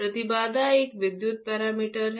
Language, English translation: Hindi, Impedance is an electrical parameter